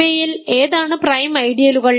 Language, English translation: Malayalam, Which of these are prime ideals